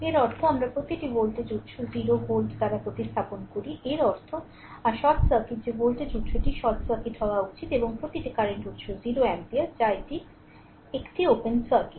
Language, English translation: Bengali, This means we replace every voltage source by 0 volt; that means, your short circuit that voltage source should be short circuit, and every current source by 0 ampere that is it is an open circuit right